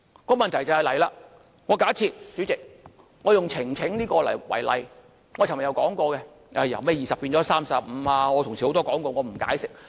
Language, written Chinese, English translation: Cantonese, 這樣一來便出問題了，代理主席，我以呈請為例——我昨天也說過——由20人提高至35人，很多同事已說過，我不作解釋。, I have mentioned it yesterday . That is the amendment seeks to increase the number of Members presenting a petition to the Legislative Council from 20 to 35 . Many of my colleagues have spoken on that I will not further elaborate on that